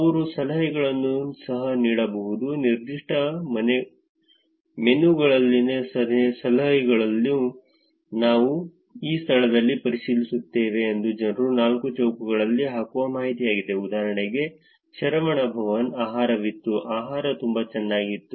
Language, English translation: Kannada, They can also leave tips, tips at specific menus are the is the information that people put in to the Foursquares saying I will checked in into this location, for examples, Saravana Bhavan, I had food, food was pretty good